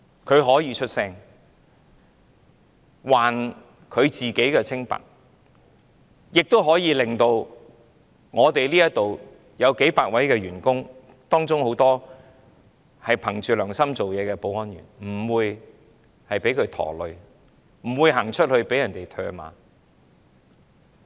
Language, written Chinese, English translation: Cantonese, 他可以發聲，還他自己清白，亦可以令這裏數百位員工，當中有很多憑着良心做事的保安員不會被他連累，不會走到街上被唾罵。, He can speak out and prove his innocence . By so doing he can also do justice to the hundreds of staff members here including many security officers who have been working conscientiously and save them from being unjustly involved in this matter and be scolded on the street